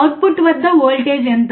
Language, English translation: Telugu, What is the voltage at the output